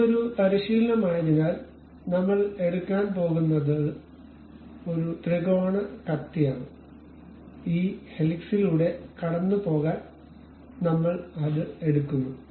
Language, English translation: Malayalam, So, because it is a practice, we what we are going to take is a triangular knife, we take it pass via this helix